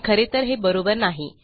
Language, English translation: Marathi, But in actual fact, thats not true